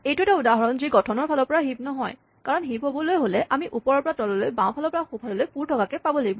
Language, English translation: Assamese, Here is an example of something which is structurally not a heap because it is a heap we should have it filled from top to bottom, left to right